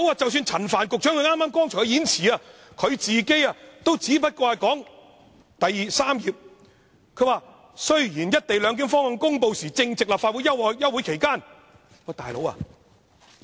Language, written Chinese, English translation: Cantonese, 即使陳帆局長也知道只是在數月前才公布的，因為他剛才的演辭第三頁說，"一地兩檢"方案公布時，正值立法會休會期間。, Well even Secretary Frank CHAN is aware that the proposal was announced only a few months ago as the third page of his scripted speech just now says that the Legislative Council was in recess when the proposal was announced